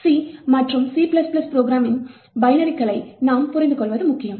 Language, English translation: Tamil, It is important for us to be able to understand C and C++ program binaries